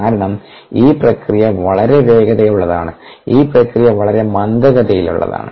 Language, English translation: Malayalam, ok, the because this process is very fast, this process is very slow